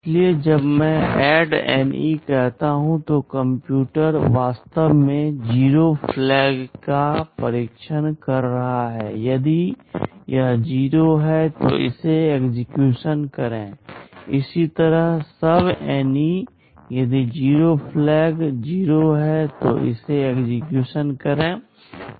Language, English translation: Hindi, So, when I say ADDNE, the computer is actually testing the 0 flag; if it is 0 then execute this; similarly SUBNE; if the 0 flag is 0, then execute this